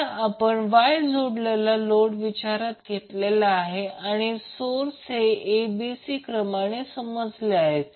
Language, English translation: Marathi, Now since we have considered the Y connected load and we assume the source is in a b c sequence